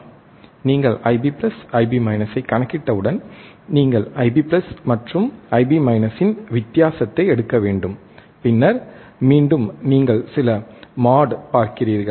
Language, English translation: Tamil, Once you calculate I b plus, I b minus, you have to take the difference of I b plus and I b minus, and then again you see some mode some mode